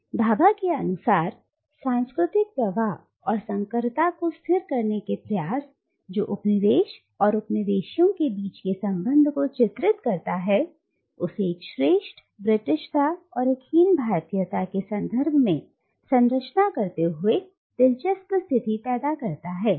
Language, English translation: Hindi, Now, according to Bhabha, the attempt to stabilise the cultural flux and hybridity that characterise the relationship between the coloniser and the colonised and to structure it in terms of a superior Britishness and an inferior Indianness led to a very interesting consequence